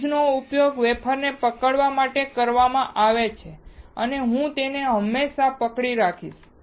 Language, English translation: Gujarati, A tweezer is used to hold the wafer and I will hold it right now